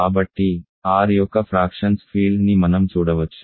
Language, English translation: Telugu, So, we can look at the field of fractions of R